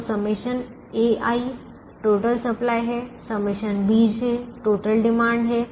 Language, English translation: Hindi, so sigma a i is the total supply, sigma b j is the total demand